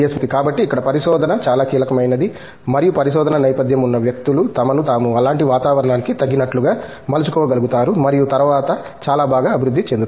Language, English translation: Telugu, So, that is where research is very crucial and people with research background are able to fit themselves into such an environment and then grow much better